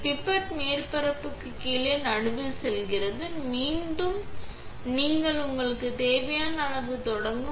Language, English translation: Tamil, The pipette goes in the middle just below the surface and you start up the amount that you need